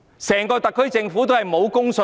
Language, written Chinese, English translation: Cantonese, 整個特區政府也沒有公信力。, The whole SAR Government also has no credibility